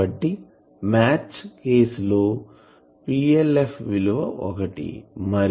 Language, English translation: Telugu, So, what will be the value of PLF